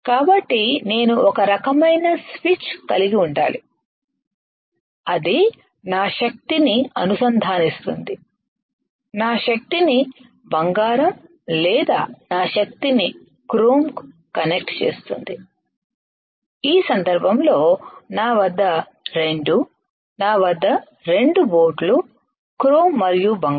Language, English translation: Telugu, So, I should have some kind of switch some kind of switch right that will connect that will connect my power, my power to either cold or my power to either chrome right in this case I have 2 I have 2 boats chrome and gold or 2 sources chrome and gold in this case What can I do